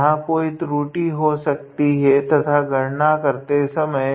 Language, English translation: Hindi, There might be some errors here and there while doing the calculation